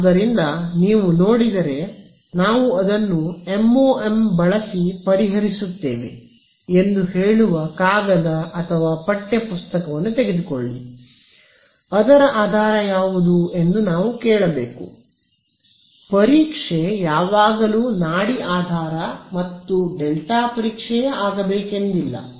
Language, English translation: Kannada, So, if you see you know a paper or text book saying we solve it using MoM, we should ask what was the basis, what was the testing it is not necessary that is always pulse basis and delta test ok